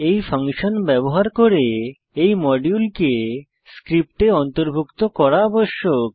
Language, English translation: Bengali, This module, must then be included in the script, to use this function